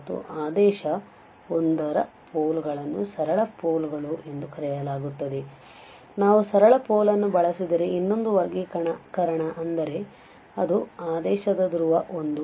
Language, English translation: Kannada, And the poles of order 1 are called simple poles, so another classification if we use simple pole that means it is a pole of order 1